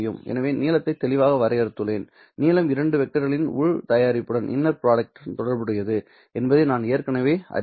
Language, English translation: Tamil, And I already know that length is related to the inner product of the two vectors